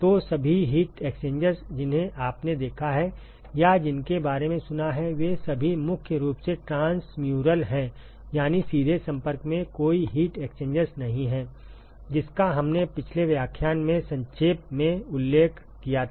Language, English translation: Hindi, So, all the heat exchangers that you have seen or sort of heard about, they are all primarily transmural, that is there is no in direct contact heat exchangers we briefly alluded to this in the last lecture